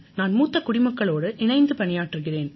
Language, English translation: Tamil, I work with senior citizens